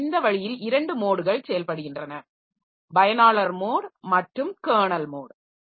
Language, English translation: Tamil, So, this way we have got two modes of operation, user mode and kernel mode